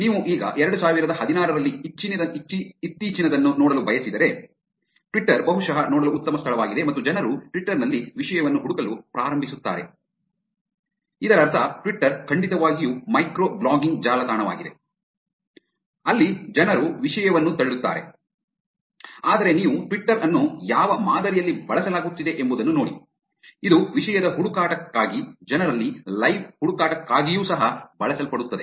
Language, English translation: Kannada, If you want to look at the latest in now, year 2016, Twitter is probably the best place to look at and people start searching for a topic in Twitter actually meaning Twitter definitely is a micro blogging website, where people push content, but if you look at the pattern in which Twitter is being used, it also being used for search for a topic, live search into people